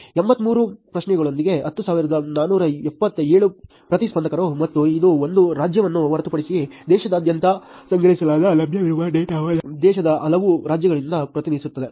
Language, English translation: Kannada, 10,427 respondents with 83 questions and it was all collected all over the country except from one state, the data that is available represents from a many, many states in the country